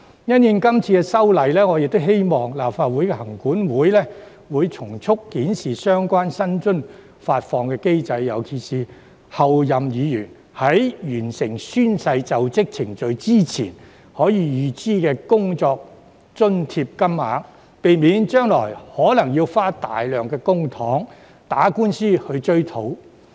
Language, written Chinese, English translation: Cantonese, 因應今次修例，我亦希望行管會從速檢視相關薪津發放機制，特別是候任議員在完成宣誓就職程序前，可以預支的工作津貼金額，避免將來可能要花費大量公帑打官司追討。, The mechanisms of suspension of functions and duties and suspension of remuneration will probably prove to be useful very soon . In response to this legislative amendment exercise I hope that LCC will speedily review its mechanism of remuneration payment particularly in relation to the amount of operating allowances payable in advance so as to avoid spending large sums of public money in legal proceedings to recover the debt in future